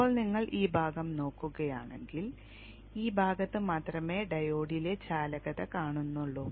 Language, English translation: Malayalam, Now if you see only during this portion we see conduction in the diode